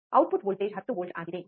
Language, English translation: Kannada, Voltage output voltage is 10 volts